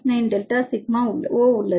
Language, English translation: Tamil, 9 into delta sigma C and 2